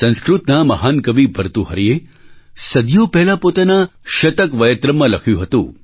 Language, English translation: Gujarati, Centuries ago, the great Sanskrit Poet Bhartahari had written in his 'Shataktrayam'